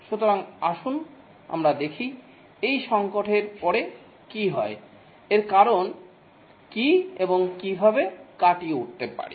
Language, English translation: Bengali, So let's see what is this software crisis, what causes it and how to overcome